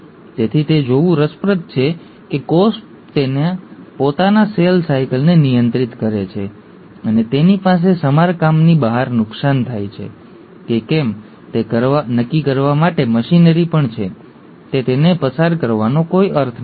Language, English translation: Gujarati, So it's interesting to see that the cell regulates its own cell cycle, and it also has machinery in place to decide if there are damages happening beyond repair, it's no point passing it on, just self destruct, and that happens through the process of apoptosis